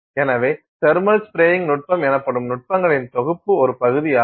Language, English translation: Tamil, So, it is part of a set of techniques called the thermal spraying techniques